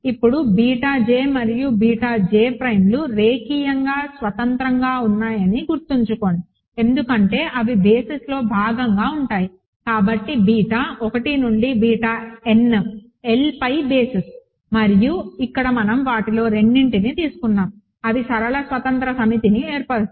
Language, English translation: Telugu, Now, remember that beta j and beta j prime are linearly independent because they are part of the basis, so beta 1 through beta n are a basis over L and here we are just taking two of them they form a linearly independent set